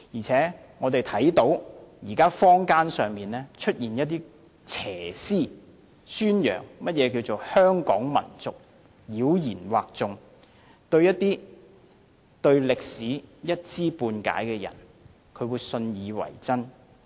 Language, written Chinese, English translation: Cantonese, 此外，現時坊間出現一些邪思，宣揚何謂香港民族，妖言惑眾，一些對歷史一知半解的人會信以為真。, Besides some people in the community are propagating such evil thoughts as the concept of the so - called Hong Kong Nation . To those who have a scanty knowledge of history they would be misled into believing such fallacy